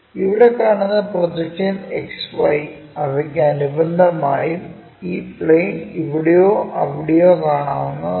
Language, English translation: Malayalam, So, that projection what we will see it with respect to XY and this plane can be here it can be there also